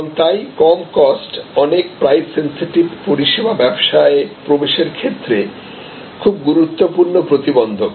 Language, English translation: Bengali, And so low cost is really a very significant barrier to entry in many price sensitive service businesses